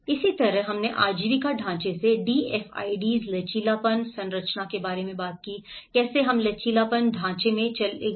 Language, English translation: Hindi, The similarly, we talked about the DFIDs resilience framework from the livelihood framework, how we moved on to the resilience frameworks